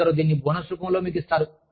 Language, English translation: Telugu, Some give this to you, in the form of bonuses